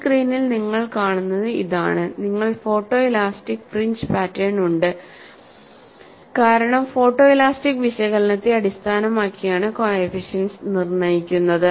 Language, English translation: Malayalam, And what you see in this screen is, you have the photo elastic fringe pattern, because the coefficients are determined based on the photo elastic analysis